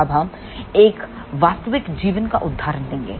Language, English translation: Hindi, Now, we will take a real life example